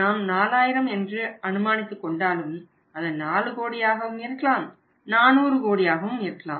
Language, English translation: Tamil, Though we have assume it as 4000 it can be 4 crore or say 400 crore anything